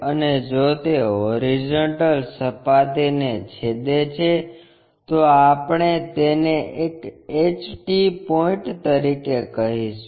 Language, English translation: Gujarati, And if it is going to intersect the horizontal plane we call that one as HT point